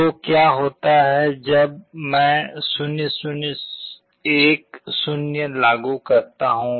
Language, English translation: Hindi, So, what happens when I apply 0 0 1 0